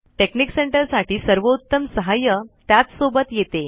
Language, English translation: Marathi, The best help for texnic center comes with it